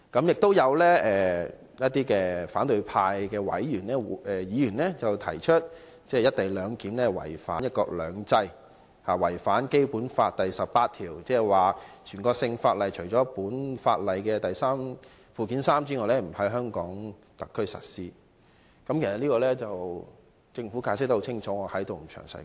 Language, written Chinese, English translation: Cantonese, 有反對派議員提出，"一地兩檢"違反"一國兩制"，違反《基本法》第十八條，即"全國性法律除列於本法附件三者外，不在香港特別行政區實施"。, Some Members of the opposition camp argued that the co - location arrangement contravenes one country two systems and violates Article 18 of the Basic Law ie . National laws shall not be applied in the Hong Kong Special Administrative Region except for those listed in Annex III to this Law